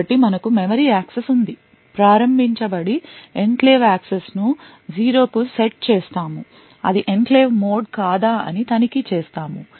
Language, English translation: Telugu, So, we have a memory access that is which is initiated we set the enclave access to zero we check whether it is an enclave mode